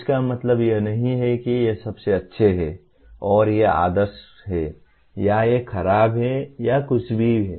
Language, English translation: Hindi, It does not mean these are the best and these are the ideal or these are bad or anything like that